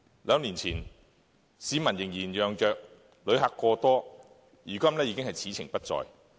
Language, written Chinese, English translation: Cantonese, 兩年前，市民仍然嚷着旅客過多，如今已是此情不再。, Two years ago people complained about Hong Kong being overcrowded with visitors but the situation is quite different today